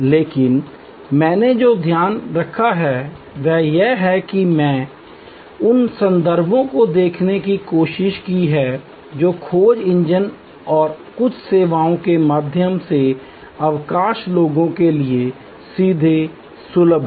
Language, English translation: Hindi, But, what I have taken care is that, I have tried to sight those references which are readily accessible to most people directly through the search engines and some of the services